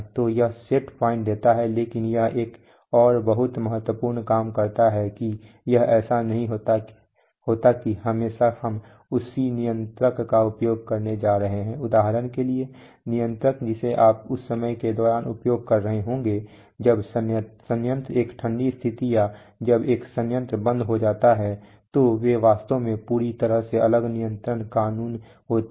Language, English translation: Hindi, So it is give set point, but it does another very important thing that is it is not always that we are going to use the same controller for example the controller that you may be using during the time that the plant is started up from there is a cold condition or when a plant is shut down they actually totally different control laws